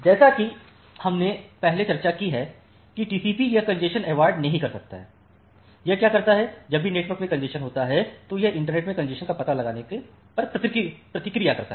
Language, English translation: Hindi, So, as we have discussed earlier that TCP it does not avoid congestion, what it does that, whenever congestion occurs in the network then it responses on detection of the congestion in the internet